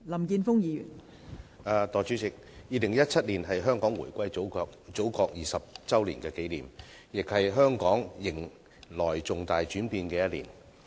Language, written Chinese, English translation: Cantonese, 代理主席 ，2017 年是香港回歸祖國20周年紀念，亦是香港迎來重大轉變的一年。, Deputy President the year 2017 marks the 20 anniversary of Hong Kongs reunification with the Motherland . It is also a year of significant changes in Hong Kong